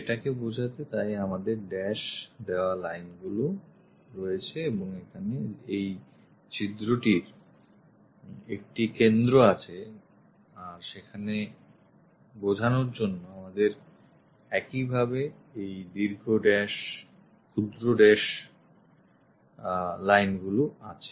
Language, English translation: Bengali, So, to represent that we have these dashed lines and this hole has a center here and there to represent that we have long dash, short dash, long dash, short dash lines similarly here